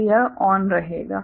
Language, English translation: Hindi, So, this will be ON